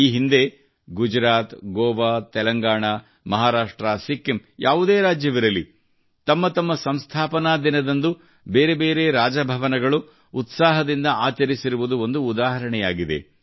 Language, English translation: Kannada, In the past, be it Gujarat, Goa, Telangana, Maharashtra, Sikkim, the enthusiasm with which different Raj Bhavans celebrated their foundation days is an example in itself